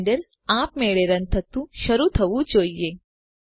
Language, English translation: Gujarati, Blender should automatically start running